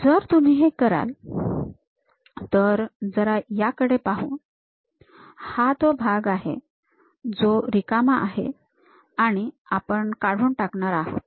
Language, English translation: Marathi, If you do that, let us look at that; this is the part what we are removing and this is completely empty